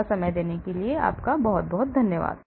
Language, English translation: Hindi, Thank you very much for your time